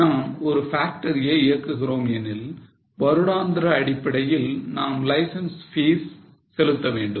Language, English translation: Tamil, If we want to establish factory and keep it running, you have to pay license fee every year